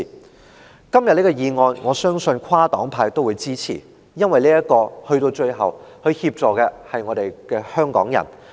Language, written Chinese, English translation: Cantonese, 我相信今天這項議案會得到跨黨派的支持，因為說到最後，它協助的對象是香港人。, I believe this motion today will command the support of Members from different political parties and groupings because after all the targets it intends to help are Hong Kong people